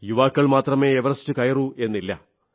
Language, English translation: Malayalam, And it's not that only the young are climbing Everest